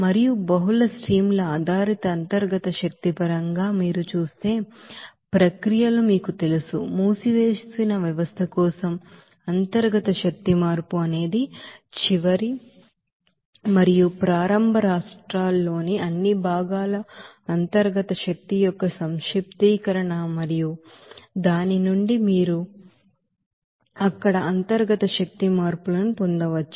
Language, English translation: Telugu, And in terms of internal energy for multiple streams based you know processes you will see that, that for closed system that internal energy change will be again that summation of internal energy of all components in the final and initial states and from which you can get the total you know that internal energy change there